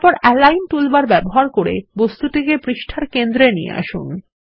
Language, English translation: Bengali, Then use the Align toolbar and align the objects to the centre of the page